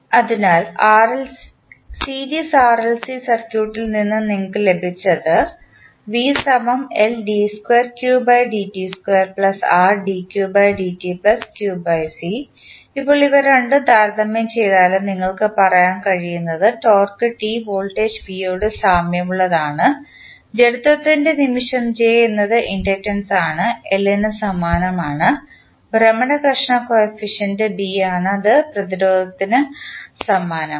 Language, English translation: Malayalam, Now, if you compare both of them, what you can say, that torque T is analogous to voltage V, moment of inertia that is J is analogous to inductance L, rotational friction coefficient that is B is nothing but analogous to resistance R